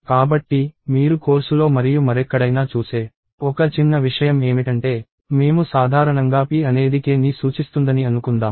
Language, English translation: Telugu, So, one small thing that you will see in the course as well as elsewhere is that, we usually say p is pointing to k